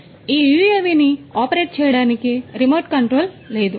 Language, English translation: Telugu, So, this particular UAV does not need any remote control